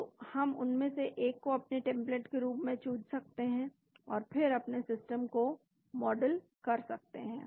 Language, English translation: Hindi, So, we can select one of them as our template and then model your system